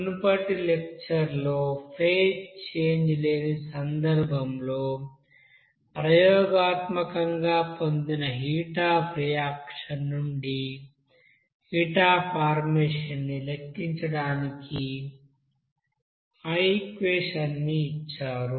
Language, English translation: Telugu, Now previous lecture, we have given that equation for calculating that heat of formation from the heat of reaction that is experimentally obtained for the case where there will be no phase change